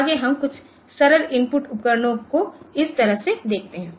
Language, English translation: Hindi, Next we see into some simple input devices like this